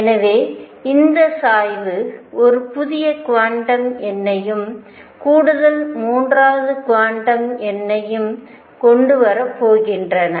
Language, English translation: Tamil, So, these tilt is going to bring in a new quantum number, and additional third quantum number